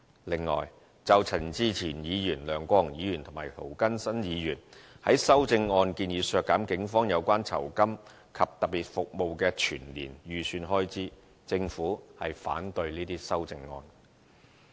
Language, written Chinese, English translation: Cantonese, 此外，就陳志全議員、梁國雄議員和涂謹申議員在修正案建議削減警察有關酬金及特別服務的全年預算開支，政府反對這些修正案。, Besides Mr CHAN Chi - chuen Mr LEUNG Kwok - hung and Mr James TO propose amendments to cut the annual estimated expenditure of the Police on Rewards and Special Services RSS and the Government objects to these amendments